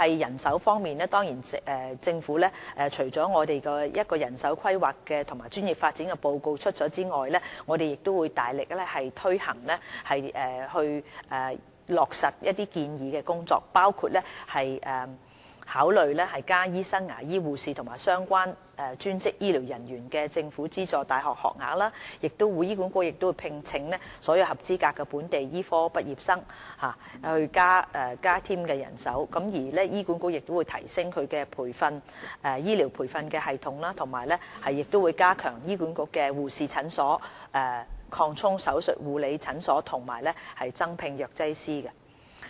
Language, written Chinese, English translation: Cantonese, 人手方面，政府除公布一項關於人手規劃和專業發展的報告外，我們亦會大力推行有關建議，包括考慮增加醫生、牙醫、護士和相關專職醫療人員的政府資助大學學額；醫管局亦會聘請所有合資格的本地醫科畢業生，以增加其人手；醫管局亦會提升其醫療培訓系統，並加強轄下護士診所，擴充手術護理診所和增聘藥劑師。, As to manpower in addition to publishing a report on manpower planning and professional development the Government will vigorously take forward the relevant recommendations which include considering increasing the number of publicly - funded undergraduate places for training doctors dentists nurses and relevant allied health professionals as well as employing through HA all locally trained medical graduates with the required qualification so as to increase its manpower . HA will also enhance its medical training mechanism set up more nurse clinics expand perioperative nurse clinics as well as increase the number of pharmacists